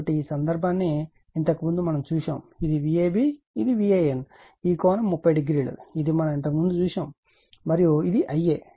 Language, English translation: Telugu, So, in this case , earlier we have seen this is V a b this is your V a n; this angle is 30 degree this is already we have seen before and this is I a right